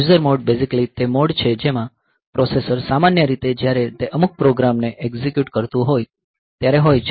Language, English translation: Gujarati, So, user mode is basically the mode in which the processor is generally in when it is executing some program